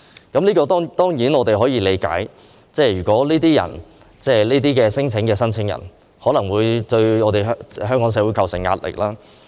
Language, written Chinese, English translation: Cantonese, 對於這點，我們當然可以理解，如果這些聲請申請者作出虛假的聲請，可能會對香港社會構成壓力。, In regard to this point we can surely understand that if these claimants make false claims they may impose a burden on Hong Kong